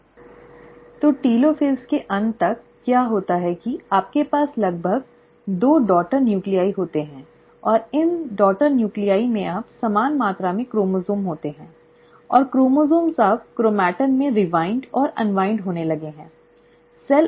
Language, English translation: Hindi, So by the end of telophase, what happens is that you end up having almost two daughter nuclei and these two daughter nuclei now have equal amount of chromosome, and the chromosomes have now started to rewind and unwind into chromatin